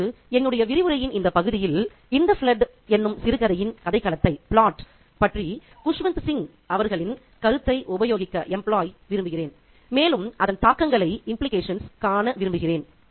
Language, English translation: Tamil, Now, in this part of my lecture I would like to employ Kushwin Singh's ideas about the short story to the plot or the story of in the flood and see the implications there